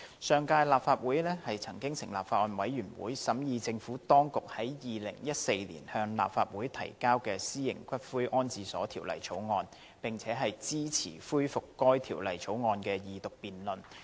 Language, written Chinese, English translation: Cantonese, 上屆立法會曾成立法案委員會，審議政府當局於2014年向立法會提交的《私營骨灰安置所條例草案》，並且支持恢復該條例草案的二讀辯論。, In the last Legislative Council a Bills Committee was formed to study the Private Columbaria Bill introduced by the Government in 2014 . The resumption of Second Reading debate on the Former Bill was supported by the Bills Committee